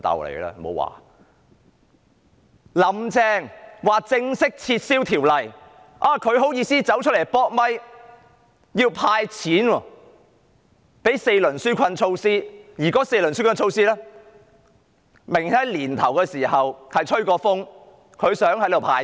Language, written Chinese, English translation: Cantonese, "林鄭"正式宣布撤回《條例草案》，他竟然好意思出來"扑咪"說要"派錢"，推出4輪紓困措施，而該4輪紓困措施明明在年初時已經"吹風"，表示想"派錢"。, After Carrie LAM had formally announced the withdrawal of the Bill he outrageously had the nerve to come forth to tell the media that cash handouts would be made and that four rounds of relief measures would be rolled out but obviously there were already hints of those four rounds of relief measures in the beginning of the year and it was said that the Government was thinking about making cash handouts